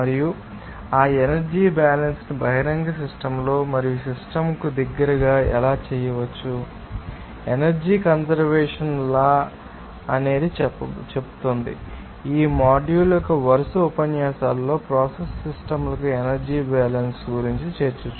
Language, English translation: Telugu, And how that energy balance can be done in open system and close to the system and based on this, you know energy conservation law will be doing, you know that energy balance for the process systems in successive lectures of this module and so, we can first